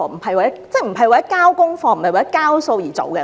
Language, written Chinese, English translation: Cantonese, 政府不應為了交功課或"交數"而做事。, The Government should never perform its duties with this attitude